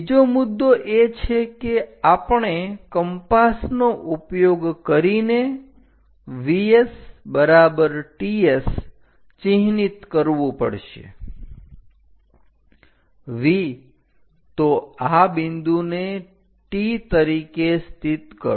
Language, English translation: Gujarati, The next point is we have to use compass to mark V S is equal to T S; V, so locate this point as T